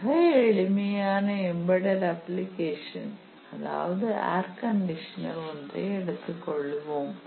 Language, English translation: Tamil, For very very simple embedded applications, for example, let us say a air conditioner